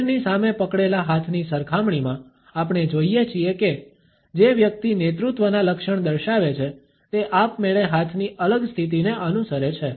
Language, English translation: Gujarati, In comparison to hands clenched in front of the body, we find that a person who displays leadership traits follows a different hand position automatically